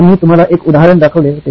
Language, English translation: Marathi, We showed you an example